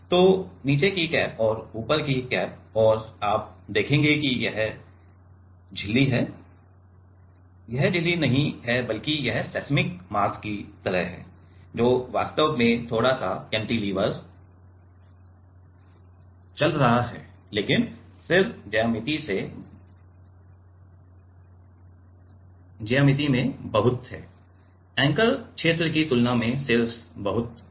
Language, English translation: Hindi, So, bottom cap and top cap and you will see that the this is the membrane this is the not the membrane rather, it is like the seismic mass, which is actually moving slight cantilever, but the head is much in geometry, the head is much bigger than it is anchor region